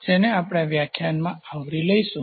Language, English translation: Gujarati, These are the topics which we will be covering in this lecture